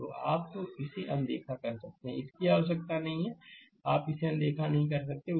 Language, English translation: Hindi, So, you can ignore this; this is not require you can ignore this